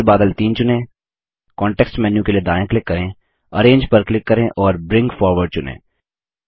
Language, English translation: Hindi, Then select cloud 3, right click for context menu, click Arrange and select Bring Forward